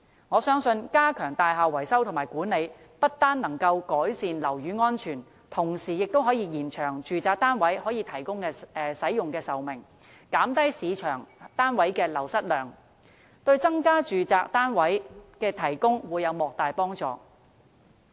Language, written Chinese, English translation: Cantonese, 我相信，加強大廈維修和管理，不單可以改善樓宇安全，同時亦可延長住宅單位可供使用的壽命，減低市場上單位的流失量，對增加住宅單位供應會有莫大幫助。, I believe that enhancing the maintenance and management of buildings will not only improve building safety but also prolong the shelf life of residential units thus reducing the loss of units in the market and serving to help increase the supply of residential units